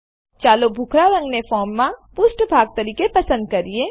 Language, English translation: Gujarati, Let us choose Grey as the form background